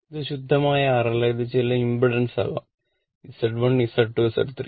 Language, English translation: Malayalam, So, it is not pure R it may be some impedance, some impedance, some Z1, Z2, Z3